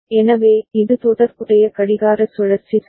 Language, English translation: Tamil, So, this is the corresponding clock cycle ok